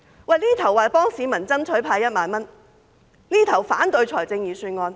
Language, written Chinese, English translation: Cantonese, 這邊廂說幫市民爭取派1萬元，那邊廂卻反對預算案。, On the one hand they said that they would help the public fight for the 10,000 handout; while on the other hand they opposed the Budget